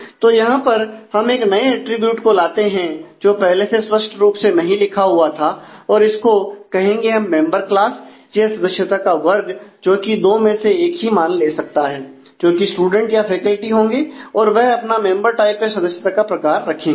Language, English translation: Hindi, So, we introduce a new attribute which was not specified explicitly say; let us call it member class which can take only two values either student or faculty and then retain the member type